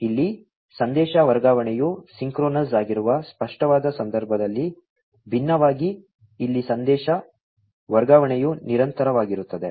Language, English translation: Kannada, Here, unlike in the case of the explicit, where the message transfer was a synchronous, here the message transfer is continuous